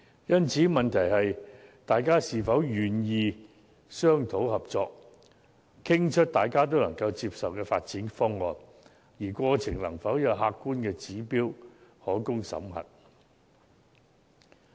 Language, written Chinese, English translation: Cantonese, 因此，問題是大家是否願意商討合作，以得出各方皆能接受的發展方案，而在商討過程又有否有客觀的指標可供審核。, Therefore the question is whether various parties are willing to negotiate and work out a development proposal that is acceptable to all and whether there is any objective yardstick for examination in the course of negotiation